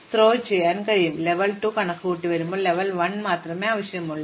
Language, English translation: Malayalam, When, we need to compute level 2, you need only level 1